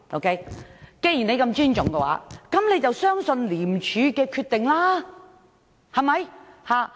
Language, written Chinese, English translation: Cantonese, 既然他這麼尊重廉署，便要相信廉署的決定，對嗎？, Given that he respects ICAC so much he must have faith in its decisions am I right?